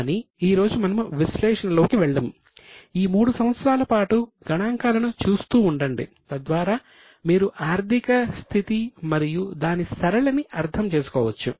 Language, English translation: Telugu, But as of today we will not go into analysis but just keep on looking at figures for three years so that you can understand the trend